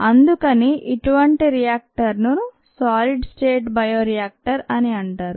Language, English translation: Telugu, so such a reactor is called a solid state bioreactors